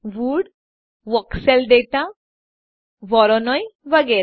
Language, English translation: Gujarati, Wood, Voxel data, voronoi, etc